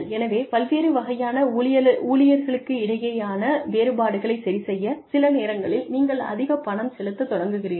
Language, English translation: Tamil, So, you start paying people higher, sometimes, just to adjust for differences between, different types of employees